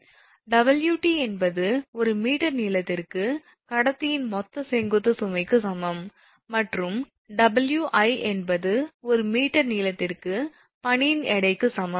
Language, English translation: Tamil, Where Wt is equal to total vertical load on conductor per meter length, W is equal to weight of conductor per meter length and Wi is equal to weight of ice per meter length